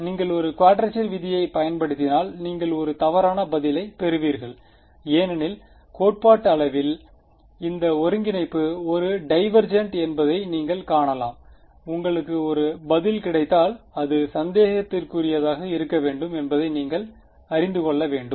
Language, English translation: Tamil, But, as it is if you use a quadrature rule you will get a misleading answer because, theoretically you can see that this integral is divergent you should not you, if you get an answer you should know that it should be suspicious